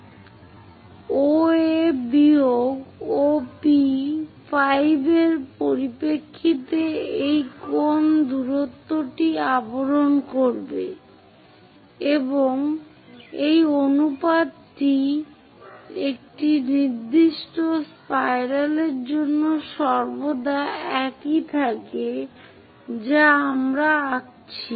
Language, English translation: Bengali, To cover this much angle the distance in terms of OA minus OP 5 it will cover, and this ratio always remains same for a particular spiral what we have drawn